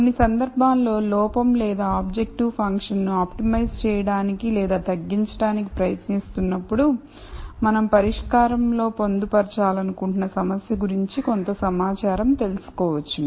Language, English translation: Telugu, In some cases while we are trying to optimize or minimize our error or the objective function, we might know some information about the problem that we want to incorporate in the solution